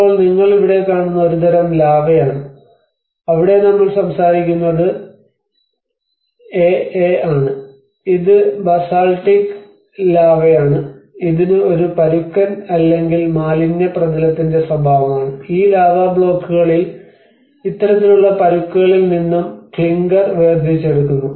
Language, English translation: Malayalam, \ \ Like now what you see here is a kind of lava where we talk about the \'ebAa\'ed which is the basaltic lava which is characterized by a rough or a rubbly surface and these lava blocks also we actually extract the clinker from this kind of rough and rubbly surface lava is called \'ebAa\'ed